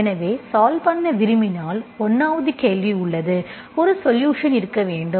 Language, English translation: Tamil, So if you want to have the solution, so 1st there is a question, you should have a solution